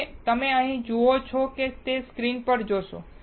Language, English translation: Gujarati, Now, if you see here on the screen what you see